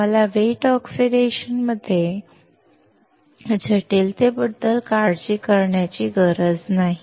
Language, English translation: Marathi, We do not have to worry about complexity in wet oxidation